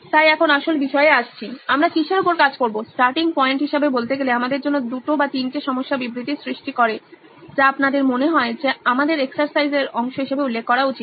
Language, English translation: Bengali, So now coming to real things, so what do we work on what are those starting points for us say 2 or 3 problem statements that you have that you think have to be addressed as part of our exercise